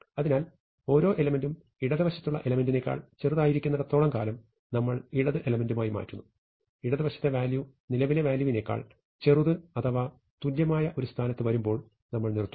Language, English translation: Malayalam, So, we swap each element with the element on its left, so long as it is, the element on the left smaller, and we stop when we come to a position where the value on the left, is greater than or equal to the current value, at this point we stop